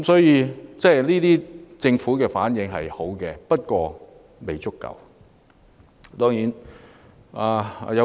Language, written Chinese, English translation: Cantonese, 因此，政府的反應是可取的，但未足夠。, Therefore the Government has responded in the right way but it is not enough